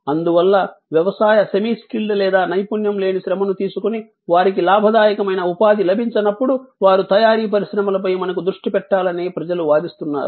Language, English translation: Telugu, And therefore, to take agricultural semi skilled or unskilled labour and find them gainful employment, people are arguing that we need refocus on manufacturing industries